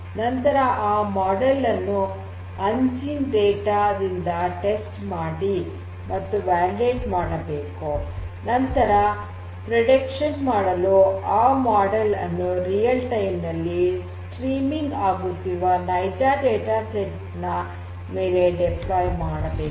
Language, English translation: Kannada, You have to train a model and then test and validate that particular model on some previously unseen data and thereafter deploy that model to make predictions on an actual data set which is being streamed in real time